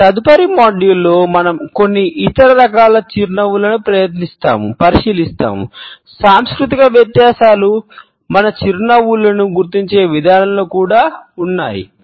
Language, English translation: Telugu, In our next module we would look at certain other types of a smiles, the cultural differences which also exist in the way our smiles are recognised